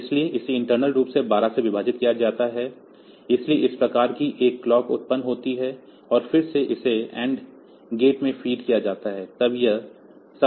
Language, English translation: Hindi, So, it is internally divided by 12 so, this type of a clock is generated, and then this it is fate to an n gates, this is all logical